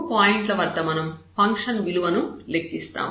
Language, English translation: Telugu, These are the 3 points we will evaluate the function value